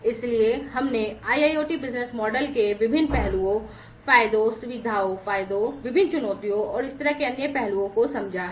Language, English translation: Hindi, So, we have understood the different aspects of IIoT business models, the advantages, the features, the advantages, the different challenges, and so on